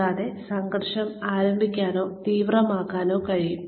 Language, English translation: Malayalam, And, can initiate or intensify conflict